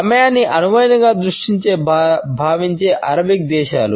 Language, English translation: Telugu, The Arabic countries in the perception of time as a flexible vision